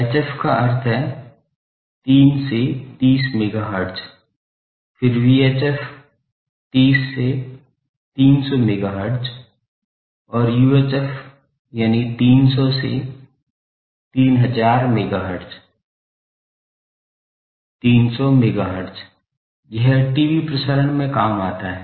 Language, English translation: Hindi, HF means 3 to 30 megahertz, then VHF 30 to 300 megahertz and UHF that is 300 to 3000 megahertz, 300 megahertz, it, TV transmissions